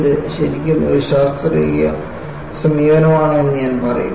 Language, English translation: Malayalam, And I would say, it is really a scientific approach